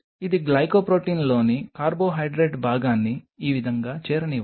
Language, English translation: Telugu, Suppose let it join the carbohydrate part of the glycoprotein something like this